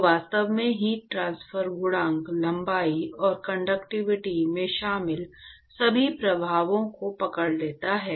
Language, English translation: Hindi, Which actually captures all the effects that is included in heat transfer coefficient, length and the conductivity